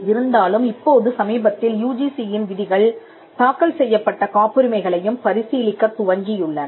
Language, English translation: Tamil, Though now we find the UGC norms have recently started considering patents filed as well